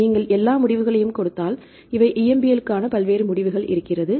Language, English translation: Tamil, If you give all the results these are the various results for the EMBL